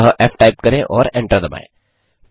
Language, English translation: Hindi, So type f and hit Enter